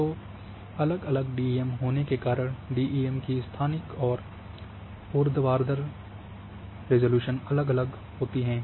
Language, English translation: Hindi, So, depending on the DEM different DEM’s they are having spatial as well as vertical resolution